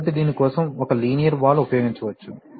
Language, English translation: Telugu, So, one can use a linear valve for this